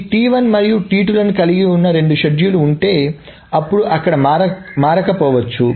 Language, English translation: Telugu, So if there are two schedules that involve this T1 and T2, then there may not be changed